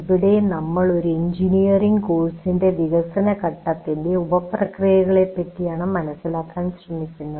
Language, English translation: Malayalam, So here we try to understand the sub processes of development phase for an engineering course